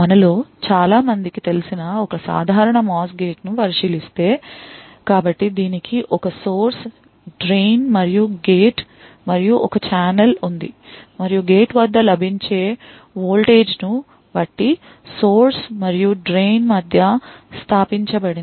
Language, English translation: Telugu, So, if we look at a typical MOS gate as many of us know, So, it has a source, drain and gate and there is a channel and established between the source and drain depending on the voltage available at the gate